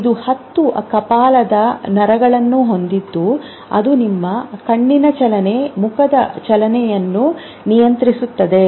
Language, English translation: Kannada, Cranial nerves which are their 10 cranial nerves which control your eye movement, your facial movement